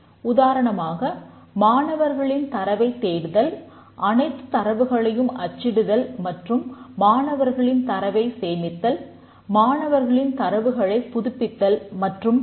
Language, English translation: Tamil, For example, search student data, print all data and store student data, update student data and so on